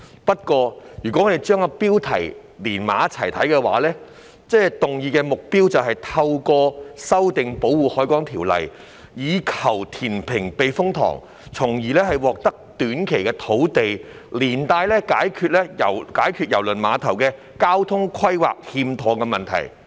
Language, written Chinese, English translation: Cantonese, 不過，如果將標題與內文結合起來看，議案的目標便是透過修訂《條例》，以求填平避風塘，從而獲得短期土地供應，同時解決郵輪碼頭交通規劃欠妥的問題。, However if the subject is read together with the content then the objective of the motion is to amend the Ordinance for the purpose of reclaiming the typhoon shelter so as to secure short - term land supply and at the same time resolve the issue of improper transport planning for the cruise terminal